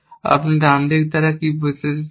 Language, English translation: Bengali, What you mean by right side